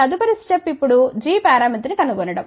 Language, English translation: Telugu, The next step is now to find out g parameter